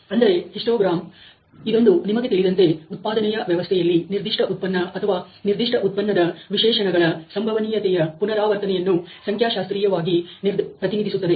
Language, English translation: Kannada, So, the histogram is a again statistical way of representing the frequency of occurrence of certain, you know product or certain product specification in a production system